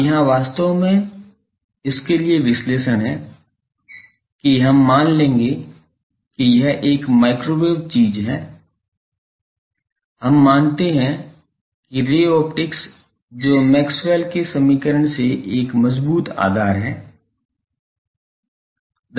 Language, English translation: Hindi, Now, here actually the analysis for that we will assume that since, this is a microwave thing we assume that ray optics which has a strong foundation from Maxwell’s equation